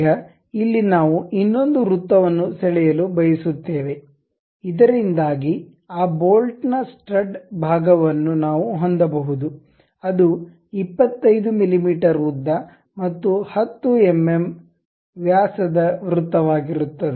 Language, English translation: Kannada, Now, here we would like to draw another circle, so that the stud portion of that bolt we can have it, which will be 25 mm in length and a circle of 10 mm diameter